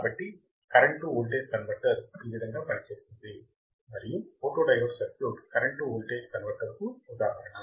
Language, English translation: Telugu, So, this is how the current to voltage converter works, and photodiode circuit is an example of current to voltage converter